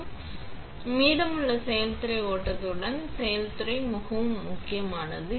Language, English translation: Tamil, So, the rest; along with the process flow, recipe is extremely important, right